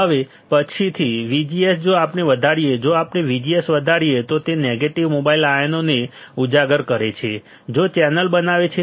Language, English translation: Gujarati, Now, later VGS if we increase, if we keep on increasing VGS it causes uncovering of negative mobile ions right which forms the channel